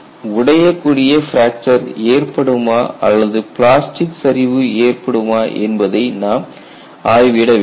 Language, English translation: Tamil, So, we will have to investigate whether fracture would occur or plastic collapse would occur